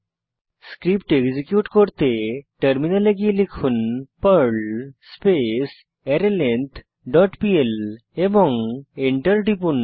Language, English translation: Bengali, Now switch to terminal and execute the Perl script Type perl arrayIndex dot pl and press Enter